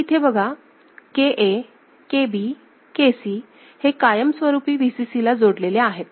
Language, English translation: Marathi, So, in this what you can see that KA, KB, KC right, all of them are permanently connected to Vcc right